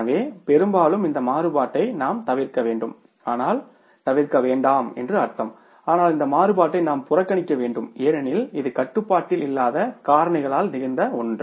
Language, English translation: Tamil, So, largely we have to avoid this variance but we means not avoid but we have to ignore this variance because this is something which has happened because of the factors which are out of control